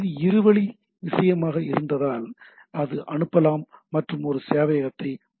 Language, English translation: Tamil, If it is a 2 way thing, then it can send and it access the server and so and so forth